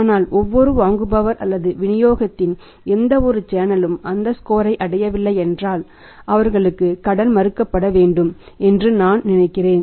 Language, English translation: Tamil, But if the any buyer or any channel of distribution is not attending that scored then I think they should be denied the credit